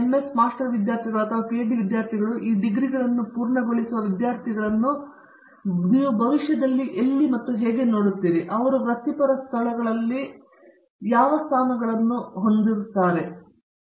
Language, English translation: Kannada, Where do you see most of your MS master students or PhD students, students who complete these degrees, where do you see them you know joining for positions that are you know professional positions in locations